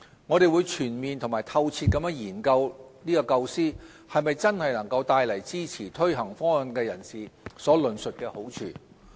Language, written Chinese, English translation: Cantonese, 我們會全面及透徹研究這構思能否真的帶來支持推行方案的人士所論述的好處。, We will give this matter full and focused deliberation to ensure that the proposal being floated will indeed achieve the intended benefits suggested by the proponents